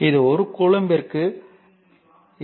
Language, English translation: Tamil, So, that is 26